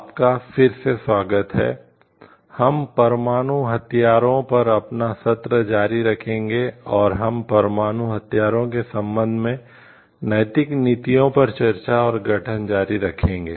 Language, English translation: Hindi, Welcome back, we will be continue with our session on the nuclear weapons and, we will continue with the discussion and formation of ethical policies, with respect to nuclear weapons